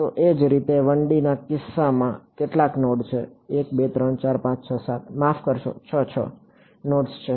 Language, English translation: Gujarati, So, similarly in the case of 1 D and how many nodes are a 1 2 3 4 5 6 7 sorry 6; 6 nodes are there